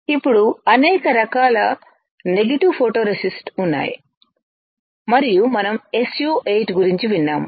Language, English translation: Telugu, Now, there are several kinds of negative photoresist and we have heard about SU 8